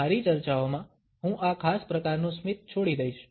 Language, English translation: Gujarati, In my discussions, I would leave this particular type of a smile